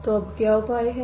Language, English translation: Hindi, So what is the solution now